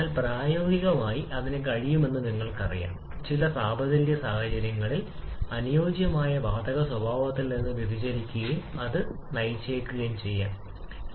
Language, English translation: Malayalam, But practically, you know that it can deviate from ideal gas behaviour under certain temperature conditions, so that can lead to some loss of information